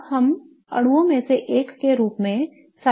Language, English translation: Hindi, Now, let us look at cyclocta tetraein as one of the molecules